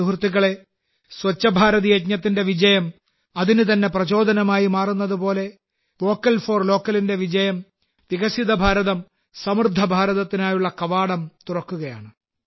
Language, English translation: Malayalam, Friends, just as the very success of 'Swachh Bharat Abhiyan' is becoming its inspiration; the success of 'Vocal For Local' is opening the doors to a 'Developed India Prosperous India'